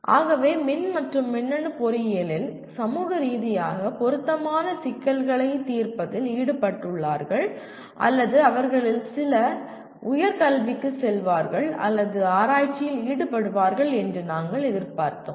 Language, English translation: Tamil, So by and large you are involved in solving socially relevant problems in electrical and electronic engineering or we expect some of them go for higher education or even involved in research